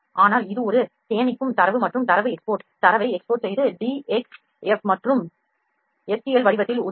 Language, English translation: Tamil, But this is a saving data and exporting data exporting data can help in DXF and STL format